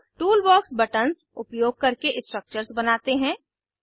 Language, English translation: Hindi, Lets now draw structures using Toolbox buttons